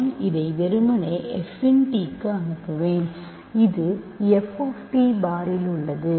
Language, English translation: Tamil, I will simply send it to f of t to I will send it to f of t bar